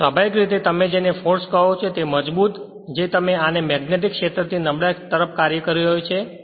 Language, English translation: Gujarati, So, naturally your what you call this is the force is acting your what you call this from stronger magnetic field to the weaker one